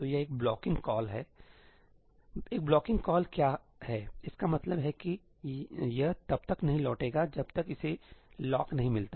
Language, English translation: Hindi, So, it is a blocking call; what is a blocking call it means that it will not return until it does not get the lock